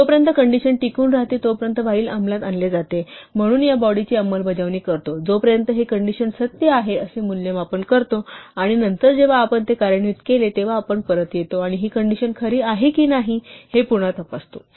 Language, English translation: Marathi, While executes something so long as a condition holds, so we execute this body so, long as this condition evaluates to true, and then when we have finished executing this we come back and check again whether this condition is true or not